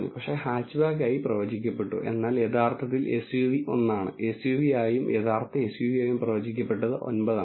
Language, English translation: Malayalam, But, predicted as hatchback, but truly SUV is one and predicted as SUV and truly SUV are 9